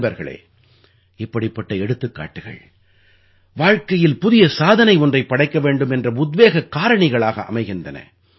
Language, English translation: Tamil, Friends, such examples become the inspiration to do something new in life